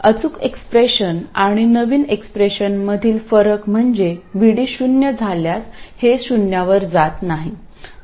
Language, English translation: Marathi, One crucial difference between the exact expression and this is that our new expression does not go to 0 when VD equals 0